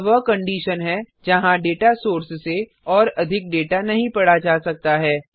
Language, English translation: Hindi, It is a condition where no more data can be read from a data source